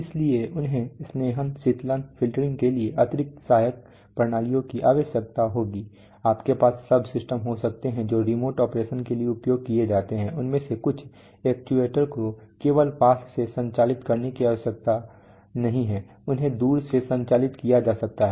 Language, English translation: Hindi, So they need additional auxiliary systems for lubrication, cooling, filtering, etc, you will have, you may have subsystem which are used for remote operation some of these actuators are need not be operated just from close they may be operated from a distance right